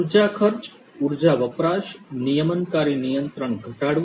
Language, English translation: Gujarati, Reducing energy expenses, energy usage, regulatory control